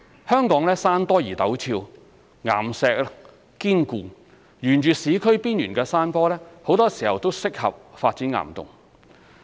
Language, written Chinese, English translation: Cantonese, 香港山多而陡峭，岩石堅固，沿市區邊緣的山坡很多時候都適合發展岩洞。, The hilly and hard rock terrain of Hong Kong makes it highly suitable for developing rock caverns particularly on the urban fringes